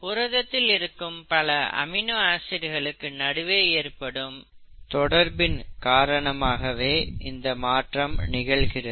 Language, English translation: Tamil, That is because; there is a lot of interaction that happens between the various parts of the protein, the various amino acids in the protein, okay